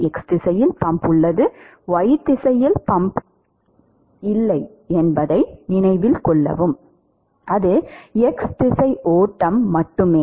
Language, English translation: Tamil, Note that there is no pumping in the y direction, its only the x direction flow